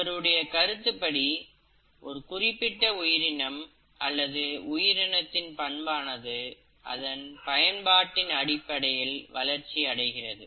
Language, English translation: Tamil, According to him, it is the, a particular organ, or a particular feature in an organism develops during the lifetime of that organism based on the usage of that organism